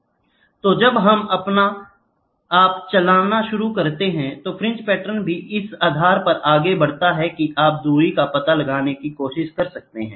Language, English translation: Hindi, So, as and when you start moving, the fringe patterns also move based on this you can try to find out the distance